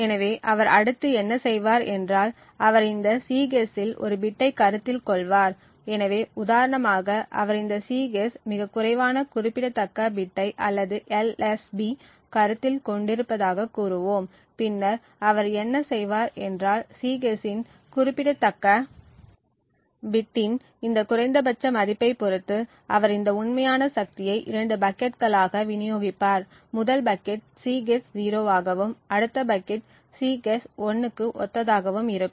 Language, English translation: Tamil, So what he would next do is that he would consider one single bit in this Cguess, so for example let us say that he is considering the least significant bit of this Cguess and then what he would do is that depending on the value of this least significant bit of Cguess he would distribute these actual power consumed into two buckets, the first bucket corresponds to the Cguess being 0, while the next bucket corresponds to the Cguess equal 1